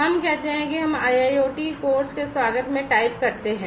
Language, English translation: Hindi, Let us say that we type in welcome to IIoT course